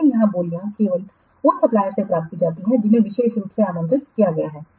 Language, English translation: Hindi, But here the beads are received only from those suppliers who have been specifically invited